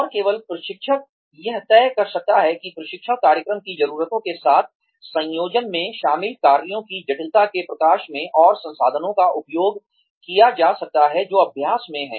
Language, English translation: Hindi, And, only the trainer can decide that, in conjunction, with the needs of the training program, in conjunction, in light of the complexity of the tasks involved, and the resources, that may be used, in practicing